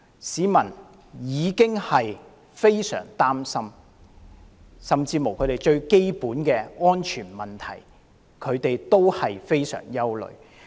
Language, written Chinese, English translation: Cantonese, 市民深感憂慮，甚至連最基本的安全問題也缺乏保障。, They are deeply worried as there is no basic protection for their personal safety